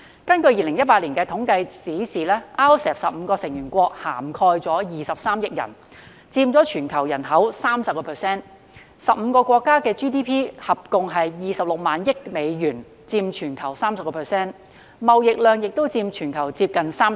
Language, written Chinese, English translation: Cantonese, 根據2018年的統計數字 ，RCEP 的15個成員國涵蓋約23億人，佔全球人口的 30%，15 個國家的 GDP 共約26萬億美元，佔全球 30%， 貿易總額亦佔全球接近 30%。, According to the statistics in 2018 the 15 RCEP participating economies cover about 2.3 billion people accounting for 30 % of the worlds population . The total GDP of these 15 countries is about US26 trillion accounting for 30 % of the worlds GDP and nearly 30 % of the worlds total trade